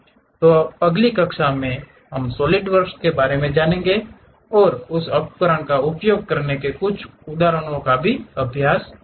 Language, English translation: Hindi, So, in the next class, we will learn about solid works and practice couple of examples how to use that tool